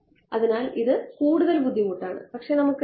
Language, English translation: Malayalam, So, it is a more cumbersome, but we can take